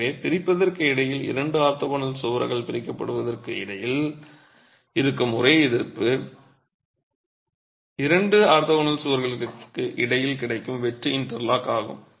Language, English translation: Tamil, So, the only resistance that is there between separation between the two orthogonal walls from separating is the sheer interlocking available between the two orthogonal walls